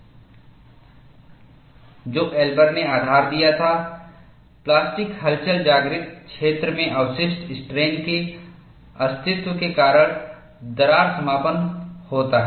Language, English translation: Hindi, And what Elber postulated was, that crack closure is due to the existence of residual strain in the plastic wake